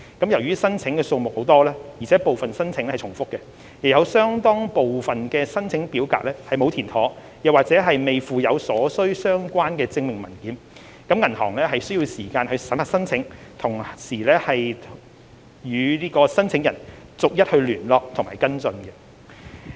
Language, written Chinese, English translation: Cantonese, 由於申請數目眾多，而且部分申請重複，亦有相當部分申請表格沒有填妥或未附有所需相關證明文件，銀行需要時間審核申請並與申請人逐一聯絡和跟進。, Given the considerable number of applications and that some of the applications were duplicated while a considerable portion of the application forms were either incomplete or without proper enclosure of the requisite supporting documents it takes time for the banks to vet the applications as well as to make contact and follow up with each and every applicant